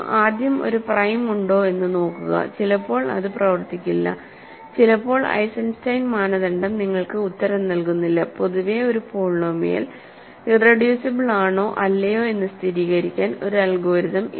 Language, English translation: Malayalam, First, see if there is a prime that works sometimes it does not, sometimes Eisenstein criterion does not give you the answer; in general there is no algorithm which always works to verify a polynomial is irreducible or not